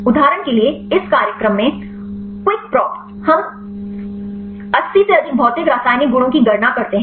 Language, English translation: Hindi, For example, in this program Qikprop; we calculate more than 80 physicochemical properties